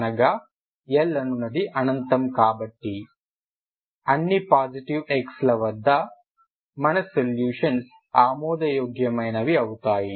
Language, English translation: Telugu, L is infinity so for all x positive your solutions are valid